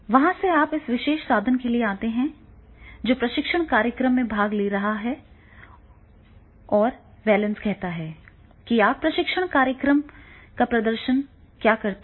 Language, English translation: Hindi, From there you come for this particular instrumentality that is attending the training program and valency is that what you perform after the training program